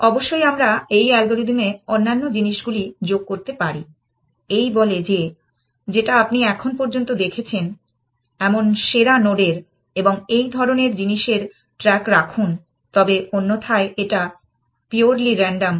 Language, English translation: Bengali, Of course, we can add on other stuff to this algorithm saying like keep track of the best node that you have seen so far and that kind of thing, but otherwise it is purely random essentially